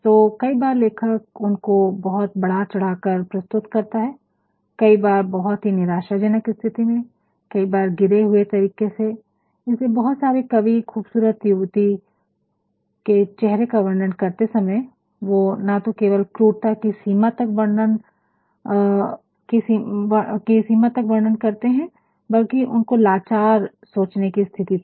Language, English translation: Hindi, So, sometimes the writer portrays in a very elevated manner, sometimes in a very depressed manner, sometimes in a debased manner, that is why many poets while explaining or while describing the faces of beautiful dams, they at times not only have pulled cruelty, but then at times they have also gone to the extent of thinking about the helplessness